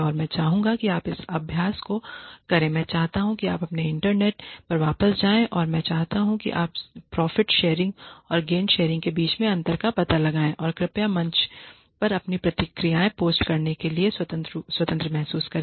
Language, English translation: Hindi, And I would like you to do this exercise I want you to go back to your internet and I want you to figure out the differences between profit sharing and gain sharing and please feel free to post your responses on the forum